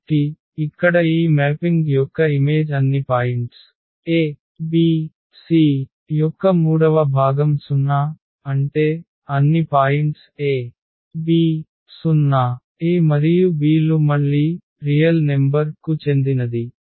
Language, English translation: Telugu, So, here the image of this mapping is nothing but all the points a b c whose third component is 0; that means, all the points a b 0; for a and b this belongs to again the real number